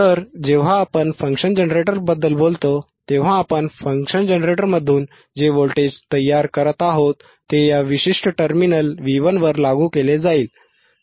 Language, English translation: Marathi, So, when we talk about function generator, right in front of function generator the voltage that we are generating from the function generator will apply at this particular terminal V 1 alright